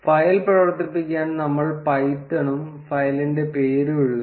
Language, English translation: Malayalam, To run the file we write python and the name of the file